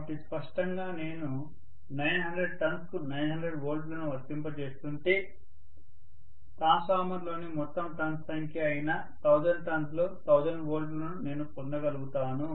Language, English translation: Telugu, So obviously if I am applying 900 volts to the 900 turns then I would be able to get 1000 volts out of 1000 turns which are the total number of turns in the transformer there is no isolation here clearly